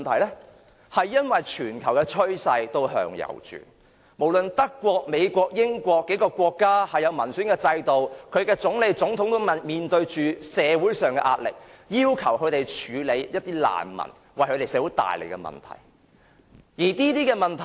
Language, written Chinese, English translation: Cantonese, 由於全球趨勢向右轉，不論德國、美國和英國等擁有民選制度的國家，它們的總理、總統也面對着社會上的壓力，要求他們處理難民為社會帶來的問題。, As the global trend has now made a right turn prime ministers and presidents of all democratic countries like Germany the United States and the United Kingdom are facing tremendous social pressure and have to deal with the social problems brought about by refugees